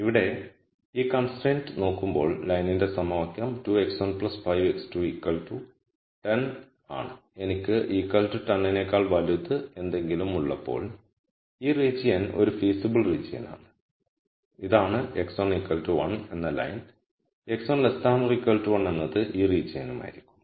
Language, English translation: Malayalam, Now, when we look at this constraint here then the equation of the line is 2 x 1 plus 5 x 2 equals to 10 and whenever I have something greater than equal to 10, this region is a feasible region and this is the x 1 equal to 1 line and x 1 less than equal to 1 would be this region